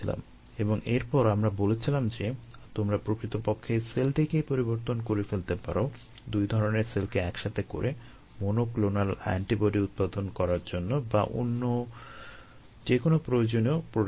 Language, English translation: Bengali, and then we said that you could actually change the cell itself by bringing two types of cells together to produce monoclonal antibodies, i or any other product of interest